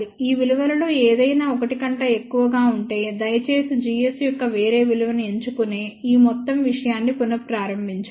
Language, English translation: Telugu, If any one of these values is greater than 1, please restart this whole thing of choosing a different value of g s